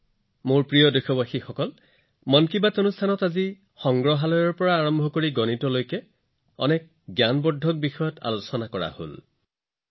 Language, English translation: Assamese, My dear countrymen, today in 'Mann Ki Baat', many informative topics from museum to maths were discussed